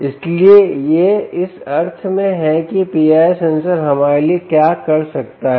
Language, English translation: Hindi, so this is, in a sense, what a p i r sensor can do to us, right